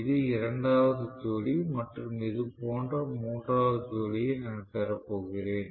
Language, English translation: Tamil, This is the second pair and I am going to have the third pair like this right